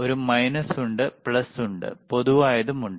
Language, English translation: Malayalam, tThere is a minus, a there is a common and there is a plus